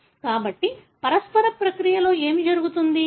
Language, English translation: Telugu, So, what happens in the mutational process